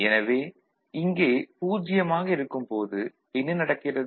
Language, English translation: Tamil, So, when here is 0 what is happening